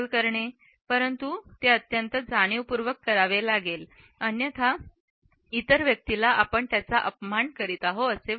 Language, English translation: Marathi, But, it has to be done in a very conscious manner; otherwise the other person may feel insulted